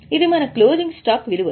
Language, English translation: Telugu, This is the value of closing stop